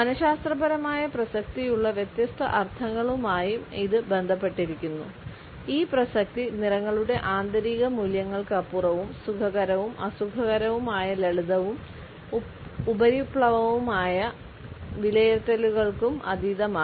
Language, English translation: Malayalam, It is also associated with different meanings which have psychological relevance and this relevance goes beyond the intrinsic values of colors as well as beyond the simplistic and superficial appraisals of pleasantness and unpleasantness